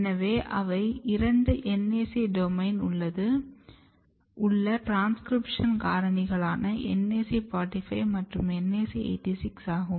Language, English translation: Tamil, So, one was NAC45 and another was NAC86 so both are NAC domain containing transcription factor NAC45 and NAC86 and ok